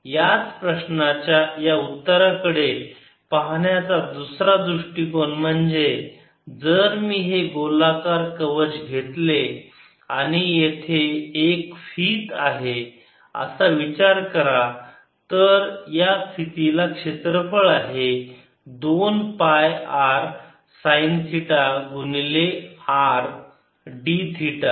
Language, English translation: Marathi, another way of looking at the answer for same problem would be if i take this spherical shell and consider a band here, this band has a, an area which is two pi r sin theta times r d theta is the total area of the band